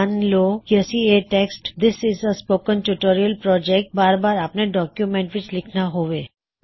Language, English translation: Punjabi, Lets say we want to type the text, This is a Spoken Tutorial Project repeatedly in our document